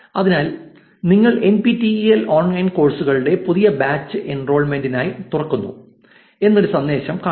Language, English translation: Malayalam, So, as you see here the message reads new batch of ten our NPTEL online courses open for enrollment